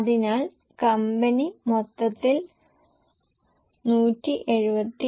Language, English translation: Malayalam, So, company as a whole gains by 177